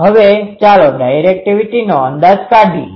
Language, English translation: Gujarati, Now, we can come to the directivity